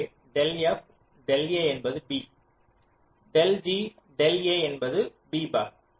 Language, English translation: Tamil, so del f del i is b, del g del a is b bar